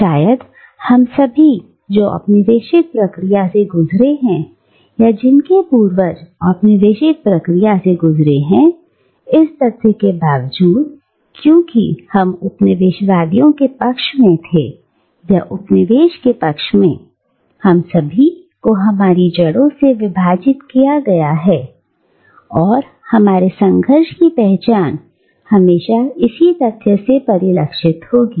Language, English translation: Hindi, And probably, all of us who have passed through the colonial process, or whose ancestors have passed through the colonial process, and irrespective of the fact whether we belonged to the side of the colonisers, or to the side of the colonised, we are perhaps all divided to the vein, and our identity is invariably informed by this conflict